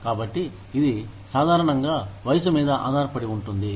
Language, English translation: Telugu, And so, that usually depends, on the age, that you are at